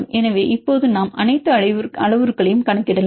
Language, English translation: Tamil, So, now, we can calculate all the parameters